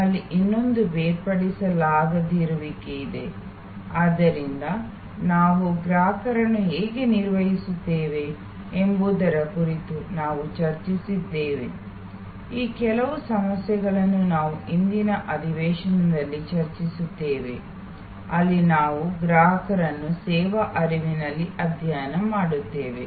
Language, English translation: Kannada, We have the other one inseparability, so we have discuss about how we kind of manage consumers, some of these issues we will discuss in today's session, where we study consumer in a services flow